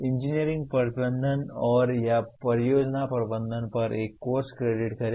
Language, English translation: Hindi, Credit a course on engineering management and or project management